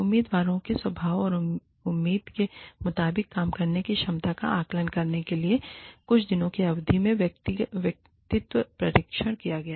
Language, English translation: Hindi, Personality tests administered, over a period of a few days, to assess the disposition of candidates, and ability to work, as expected